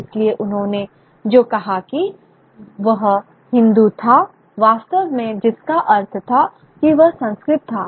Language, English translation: Hindi, So what he said Hindu is really what he meant was Sanskrit